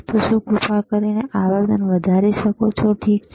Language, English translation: Gujarati, So, can you increase the frequency please, all right